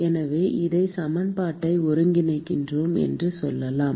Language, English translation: Tamil, So, let us say we integrate this equation